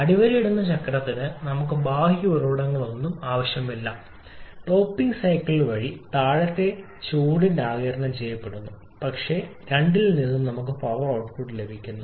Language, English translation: Malayalam, What does a cycle we do not need any external source because the heat rejected by the talking cycle is the one that is being getting absorbed in the bottoming cycle what we are getting power output from both of them